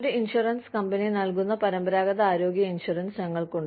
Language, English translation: Malayalam, We have traditional health insurance, which is provided by an insurance company